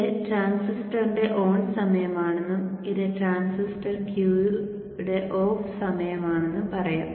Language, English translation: Malayalam, So I should say this is the on time of the transistor and this is the off time of the transistor cube